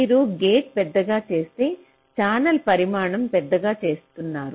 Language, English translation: Telugu, so if you are give making a gate larger, you are making the channel larger in size